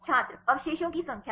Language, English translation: Hindi, Number of residues